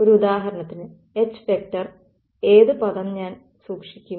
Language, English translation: Malayalam, So, H for an example which term will I keep